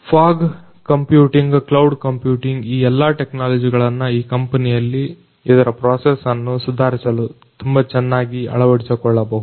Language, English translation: Kannada, So, all of these technologies the fog computing, the cloud computing all of these technologies could be very well adopted in this particular company to improve their processes